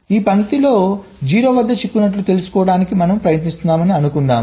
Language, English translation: Telugu, suppose we are trying to find out ah stuck at zero on this line